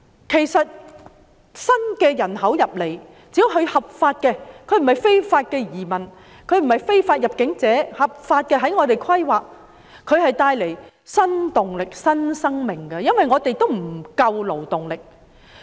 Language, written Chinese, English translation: Cantonese, 事實上，新來港的人口，只要他們是循合法途徑來港，並不是非法移民或非法入境者，在我們規劃中，便可帶來新動力、新生命，因為我們的勞動力根本不足。, In fact these new arrivals provided that they enter Hong Kong legally which means they are not illegal migrants or illegal immigrants will bring new impetus and new lives to our planning for we are facing a labour shortage